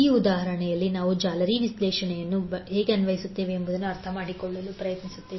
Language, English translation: Kannada, In this example, we will try to understand how we will apply the mesh analysis